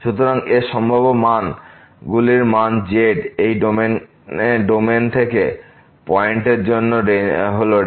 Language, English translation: Bengali, So, the values of the possible values of for the points from this domain, is the Range